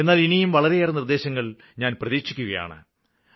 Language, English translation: Malayalam, But I am expecting more suggestions